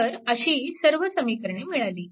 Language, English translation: Marathi, So, this is one equation